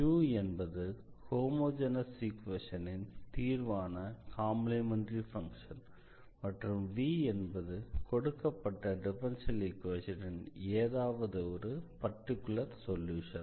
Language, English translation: Tamil, So, the u satisfies that homogeneous equation and this v another function v be any particular solution of the given differential equation